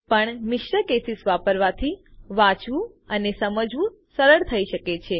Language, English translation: Gujarati, But using mixed cases, can be easy to read and understand